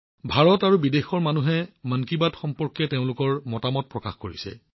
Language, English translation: Assamese, People from India and abroad have expressed their views on 'Mann Ki Baat'